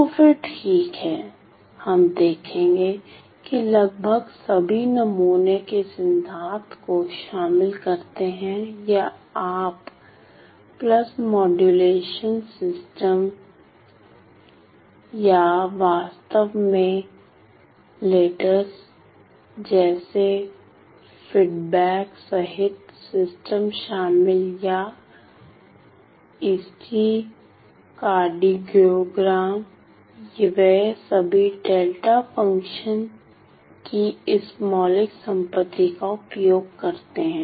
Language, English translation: Hindi, So, then well, we will see that almost all that the fields involving sampling theory or you know pulse modulation systems or in fact, including systems including feedback like the filters or ECG cardiogram, they all then they all use this fundamental property of delta function